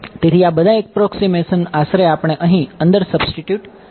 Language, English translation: Gujarati, So, all of these approximations we can substitute inside over here